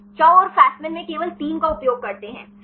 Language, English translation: Hindi, Chou and Fasman use only the 3 on in right